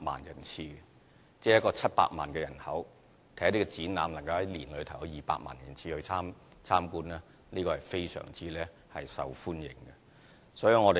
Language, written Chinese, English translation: Cantonese, 香港只有700萬人口，而展覽在1年內能夠有200萬人次參觀，證明這些展覽是非常受歡迎的。, With a population size of 7 million people in Hong Kong when there are 2 million visitors to the exhibitions in a year this proves that these exhibitions are very popular